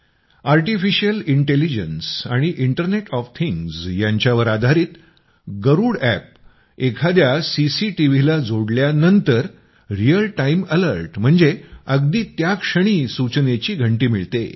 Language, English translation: Marathi, The Garuda App, based on Artificial Intelligence and Internet of Things, starts providing real time alerts on connecting it to any CCTV